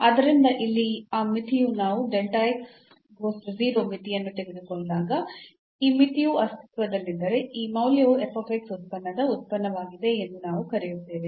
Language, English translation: Kannada, So, that limit here when we take the limit delta x goes to 0, if this limit exists we call that this value is the derivative of the function f x